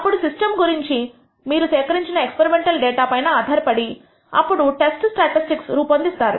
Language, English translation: Telugu, Then, based on a data experimental data about the system you collect and then you construct something called the test statistic